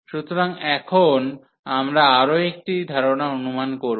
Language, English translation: Bengali, So, now we will make another assumption